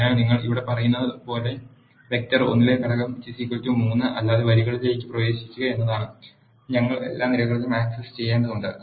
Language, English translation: Malayalam, So, what you are saying here is access those rows where the element in the vector 1 is not equal to 3 and we need to access all the columns